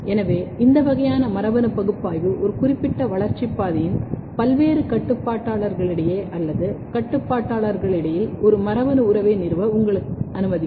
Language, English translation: Tamil, So, this kind of genetic analysis will allow you to establish a genetic relationship between or among various regulators of a particular developmental pathway